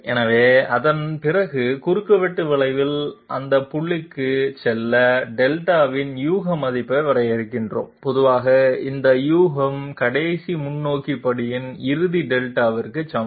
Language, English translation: Tamil, So after that we define a guess value of Delta to go to the next point on the intersection curve and generally this guess equals the final Delta of the last forward step